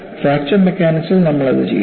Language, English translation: Malayalam, So, in fracture mechanics, we do that